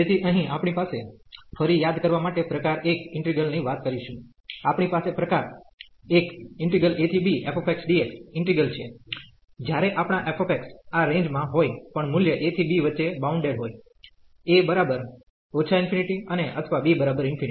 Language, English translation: Gujarati, So, here we have we will be talking about type 1 integrals again to recall, we have this type 1 integral when our f x is bounded for any value of in this range a to b, and one of the is a and a and b are infinity